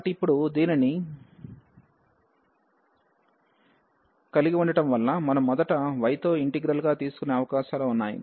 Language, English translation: Telugu, So, having this now we have the possibilities that we first take the integral with respect to y